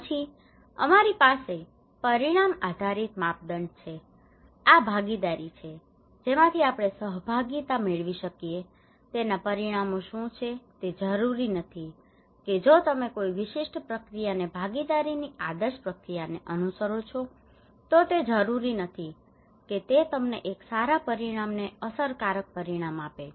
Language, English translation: Gujarati, Then we have outcome based criteria; these are participations from what we can achieve from the participations what are the outcomes it not necessary that if you follow a particular process an ideal process of participation it not necessary that it would deliver you a good outcome good effective outcome